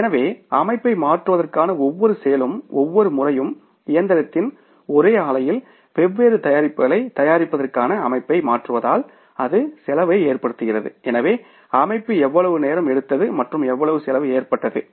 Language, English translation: Tamil, So, for change of the setup one activity is every time you are changing the setup for manufacturing the different products on the same plant or the machine so it causes the cost so how much time the setup has taken and how much cost it has caused